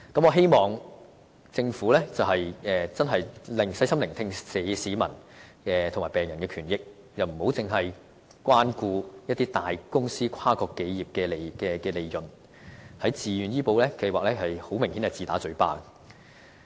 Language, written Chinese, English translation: Cantonese, 我希望政府細心聆聽市民及病人的權益，不應只關顧一些大公司和跨國企業的利潤，在自願醫保計劃中明顯便是自打嘴巴的。, I hope the Government can listen carefully to the people and patients aspirations for their rights and benefits instead of catering only about the profits of big corporations and international consortia . Apparently it has been self - contradictory regarding the Voluntary Health Insurance Scheme